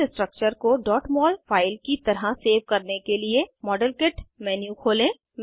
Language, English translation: Hindi, To save this structure as a .mol file, open the Modelkit menu